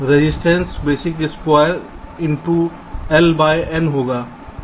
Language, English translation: Hindi, resistance will be of a basic square into l by n